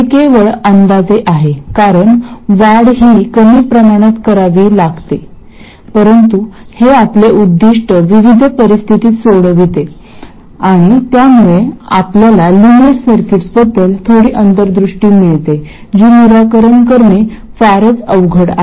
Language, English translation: Marathi, This is only approximate because the increment has to be sufficiently small but it serves our purposes in a variety of situations and it lets us get some insight into nonlinear circuits which are otherwise very difficult to solve